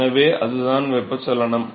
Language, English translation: Tamil, So, what is the heat balance